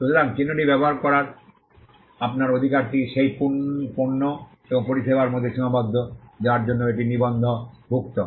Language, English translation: Bengali, So, your right to use the mark is confined to the goods and services for which it is registered